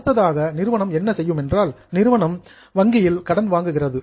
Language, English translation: Tamil, Now next what company has done is, company borrows from bank